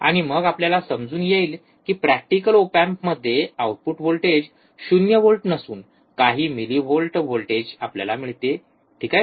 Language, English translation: Marathi, And then we understand that we will not see this output voltage 0 volt in practical op amp we will see some millivolts, alright